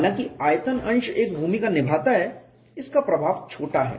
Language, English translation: Hindi, Though volume fraction plays a role, its influence is small